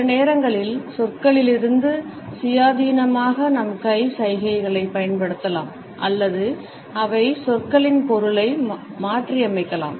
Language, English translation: Tamil, Sometimes we can use our hand gestures independent of words and sometimes they may modify the meaning of words